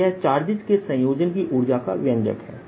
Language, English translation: Hindi, so that is the expression for the energy of an assembly of charges